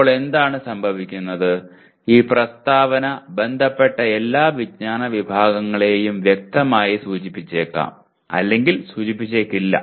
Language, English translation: Malayalam, Now what happens this statement may or may not explicitly indicate all the concerned knowledge categories